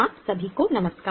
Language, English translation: Hindi, Namaste to all of you